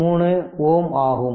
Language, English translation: Tamil, 3 ohm right